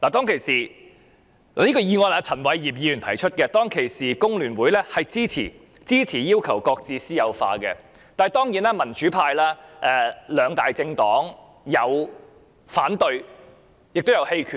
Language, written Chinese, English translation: Cantonese, 這項議案由前議員陳偉業提出，香港工會聯合會當時表示支持要求擱置私有化，而民主派兩大政黨的議員有人反對，亦有人棄權。, That motion was proposed by former Member Albert CHAN . At that time the Federation of Hong Kong Trade Unions FTU expressed support for the demand for the suspension of privatization . As for the two major political parties in the pro - democracy camp some Members opposed it and some abstained